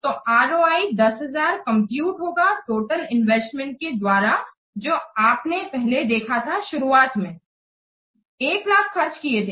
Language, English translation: Hindi, So, ROI, it can be computed as 10,000 by the total investment you have seen initially the farm has spent 1 lakh